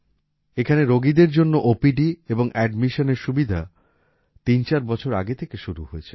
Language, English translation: Bengali, OPD and admission services for the patients started here threefour years ago